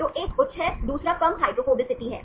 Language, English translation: Hindi, So, one is having high, another is low hydrophobicity